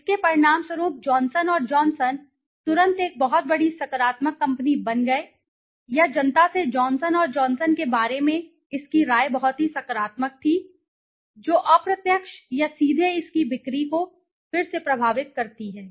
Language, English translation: Hindi, As a result of it Johnson and Johnson immediately became a very, very large positive company, or its opinion about Johnson and Johnson from public was very, very positive which indirectly or directly affected its sales again